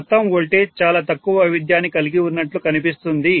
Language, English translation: Telugu, So overall voltage will look as though it is having very little variation